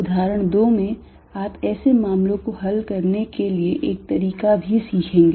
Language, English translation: Hindi, In example 2, you will also learn a trick to deal with such cases